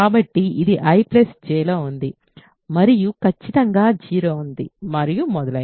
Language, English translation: Telugu, So, this is in I plus J, ok and certainly 0 is there and so on